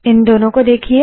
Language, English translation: Hindi, See these two